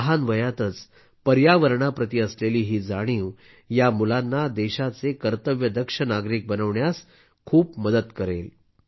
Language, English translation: Marathi, This awareness towards the environment at an early age will go a long way in making these children dutiful citizens of the country